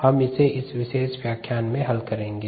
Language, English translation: Hindi, let us solve that in this particular lecture